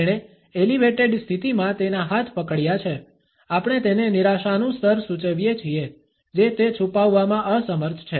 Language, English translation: Gujarati, He has clenched his hands in an elevated position, we suggest a level of frustration which he is unable to hide